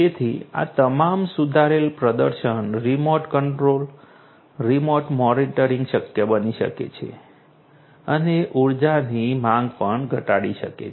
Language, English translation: Gujarati, So, all of these improved performance remote control, remote monitoring can be possible and also reduced energy demands